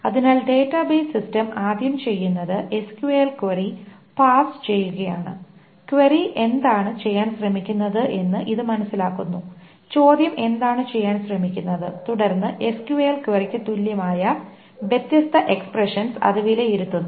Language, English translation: Malayalam, So the first thing that database system does is to parse the SQL query and it figures out what the query it's trying to do, then it evaluates the different expressions that are equivalent to the SQL query